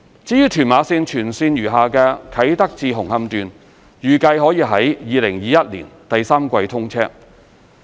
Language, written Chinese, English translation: Cantonese, 至於屯馬綫全線餘下的"啟德至紅磡段"，預計可於2021年第三季通車。, The entire Tuen Ma Line including the remaining Kai Tak to Hung Hom Section will be commissioned by the third quarter of 2021